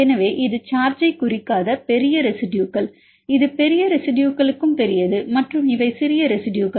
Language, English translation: Tamil, So, the big residues this is not representing charge this is a big to big residues and this is small residues